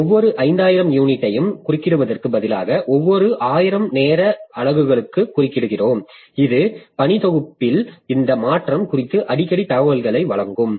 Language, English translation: Tamil, And instead of interrupting every 5,000 unit, we interrupt every 1,000 time units, that will give us more frequent information about this change in the working set